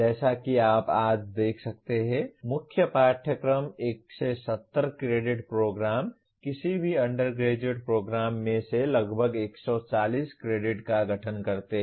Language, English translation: Hindi, As you can see as of today, the core courses constitute almost 140 credits out of 170 credit program, any undergraduate program